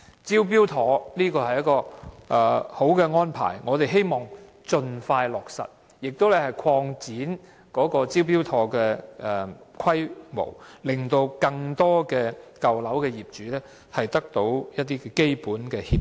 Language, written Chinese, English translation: Cantonese, "招標妥"是一項理想安排，我們希望當局盡快落實，並應擴展"招標妥"的規模，讓更多舊樓業主得到一些基本協助。, The Smart Tender scheme is a desirable arrangement . I hope the authorities will implement it as soon as possible . In fact the scale of the Smart Tender scheme should be expanded to enable more owners of old buildings to have access to some primary assistance